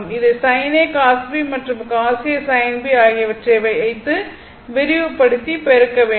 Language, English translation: Tamil, This one you just expand it in sin A cos B when plus your what you call cos A sin B, and you multiply